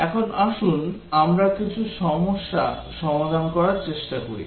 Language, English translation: Bengali, Now let us try to do some problems